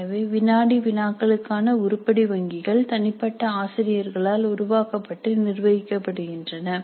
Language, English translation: Tamil, So basically it is for CIE so the item banks for quizzes are created and managed by the individual teachers